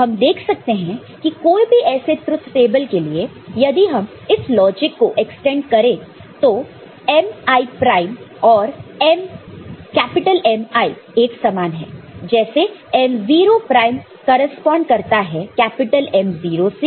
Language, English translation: Hindi, So, we can see for any such truth table, if you just extend it that mi prime mi prime; so, m0 prinme M0, they correspond